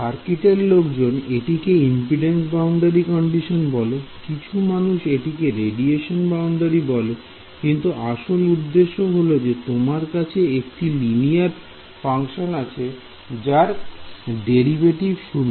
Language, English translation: Bengali, So, circuits people quality impedance boundary condition, scattering people call it radiation boundary condition, but the idea is because you have a linear combination of the function and its derivative being set to 0 right